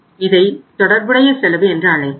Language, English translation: Tamil, We will call it as relevant cost, relevant cost